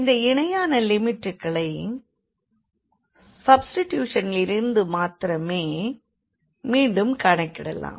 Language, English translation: Tamil, And these corresponding limits will be computed again from this substitution only